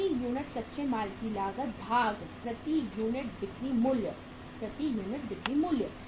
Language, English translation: Hindi, So cost of raw material per unit, cost of raw material per unit divided by selling price per unit, selling price per unit